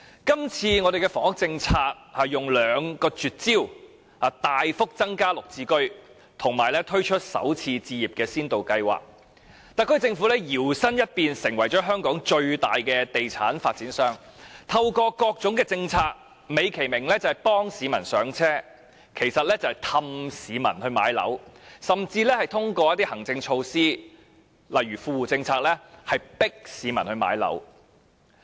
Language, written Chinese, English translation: Cantonese, 今次的房屋政策有兩個絕招：大幅增加"綠置居"及推出"港人首次置業先導計劃"，特區政府搖身一變，成為香港最大的地產發展商，透過各種政策，美其名幫市民上車，實質是哄市民買樓，甚至通過一些行政措施，例如富戶政策，強迫市民買樓。, The housing policy this time around comprises of two tricks substantially increasing the supply of units under the Green Form Subsidised Home Ownership Scheme GSH and introducing the Starter Homes Pilot Scheme for Hong Kong Residents . By luring people into purchasing properties through various initiatives under the pretext of assisting people to realize their home purchase plans the Government has turned into the largest real estate developer in Hong Kong . It even forces people to purchase properties through administrative measures such as the well - off tenants policy